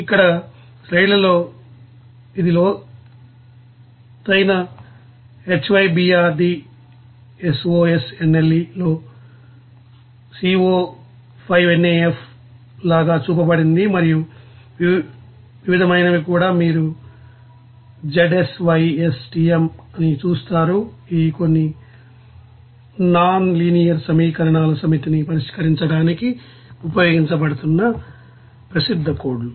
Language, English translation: Telugu, Here in this slide it is shown here like Co5NAF in a deeper you know HYBRD SOSNLE and Various even you will see that ZSYSTM, these are some you know, popular codes that are being used for solve the set of nonlinear equation